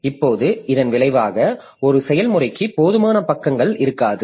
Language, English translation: Tamil, Now, as a result, there may not be enough pages for a process